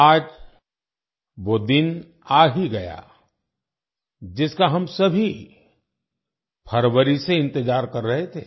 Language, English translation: Hindi, The day all of us had been waiting for since February has finally arrived